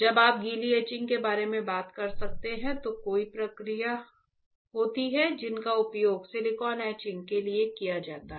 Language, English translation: Hindi, When you could talk about wet etching again in wet etching there are several processes that are used for etching silicone